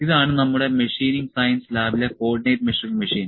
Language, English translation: Malayalam, So, this is Co ordinate Measuring Machine in our Machining Science Lab